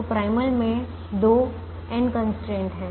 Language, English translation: Hindi, so there are two n constraints in the primal